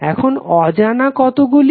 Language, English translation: Bengali, Now, unknowns are how many